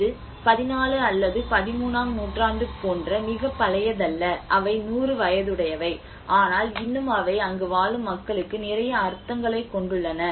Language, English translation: Tamil, It is not very old like 14th or 13th century, there are hardly 100 year old but still they carry a lot of meanings to those people who live there